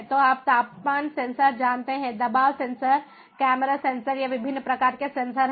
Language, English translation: Hindi, so, ah, you know, temperature sensor, ah, you know pressure sensor, um, camera sensor, these are different types of sensors